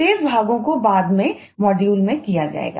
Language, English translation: Hindi, remaining parts will be done in the subsequent modules